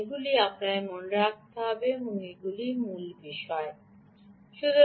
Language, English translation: Bengali, ok, these are the key things that you have to keep in mind